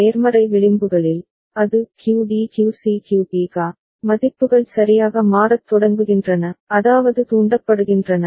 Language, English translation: Tamil, In the positive edges, it is QD QC QB QA, the values start changing right I mean, get triggered